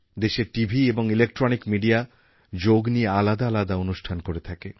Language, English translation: Bengali, Usually, the country's Television and electronic media do a variety of programmes on Yoga the whole year